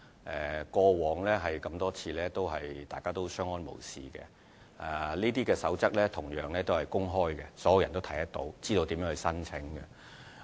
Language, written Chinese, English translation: Cantonese, 在過往多次，大家一直相安無事，而這些守則是公開的，所有人都能看到，知道如何申請。, Such an arrangement did not induce any dispute on many previous occasions and the guidelines concerned are open to the public so that everyone can access them and understand the application procedure